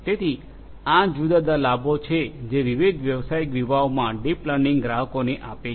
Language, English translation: Gujarati, So, these are the different benefits that deep learning gives to the customers in different business segments